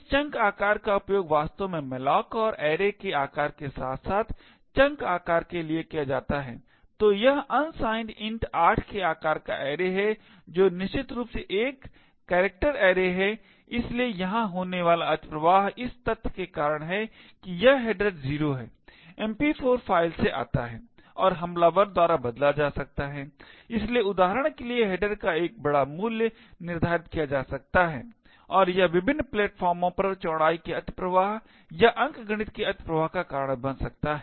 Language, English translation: Hindi, This chunk size is used to actually malloc and array of size plus chunk size, so this is array of size of unsigned int 8 which is essentially an unsigned character array, so the overflow that is occurring here is because of the fact that this header 0 comes from the MP4 file and could be manipulated by the attacker, so for example a large value of header could be set and it could cause widthness overflow or arithmetic overflows on various platforms